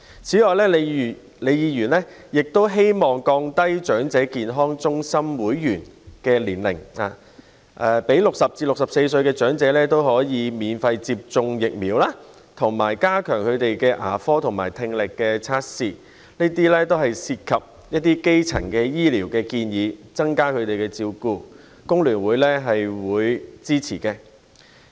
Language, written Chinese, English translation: Cantonese, 此外，李議員亦建議降低申請成為長者健康中心會員的年齡、讓60歲至64歲長者免費接種疫苗，以及加強牙科和聽力服務，這些都是涉及基層醫療的建議，增加對長者的照顧，工聯會會支持。, Moreover Prof LEE also proposed lowering the age for enrolment as members of elderly health centres allowing elderly persons aged between 60 and 64 to receive free vaccinations as well as enhancing dental and audiological services for them . These are all recommendations on primary health care seeking to enhance elderly care services to which the Hong Kong Federation of Trade Unions FTU will render support